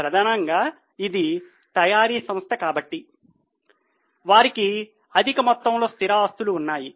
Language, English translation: Telugu, Mainly because it's a manufacturing company, they have got vast amount of fixed assets